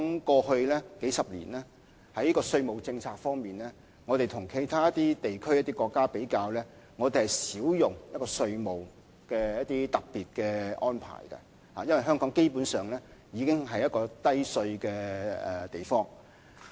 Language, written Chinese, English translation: Cantonese, 過去數十年，就稅務政策而言，與其他一些地區、國家比較，香港是較少使用稅務上的特別安排，因為香港基本上已經是一個低稅的地方。, In the last couple of decades in terms of tax policies Hong Kong seldom uses special taxation arrangements compared with other regions and countries for Hong Kong is basically a low - tax territory